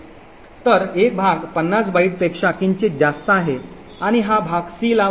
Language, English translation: Marathi, So one part is slightly more than 50 bytes and this part gets allocated to c